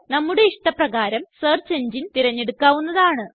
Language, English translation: Malayalam, We can choose the search engine of our choice